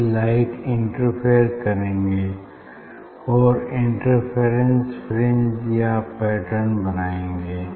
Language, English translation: Hindi, this light will interfere and will get the interference fringe, interference pattern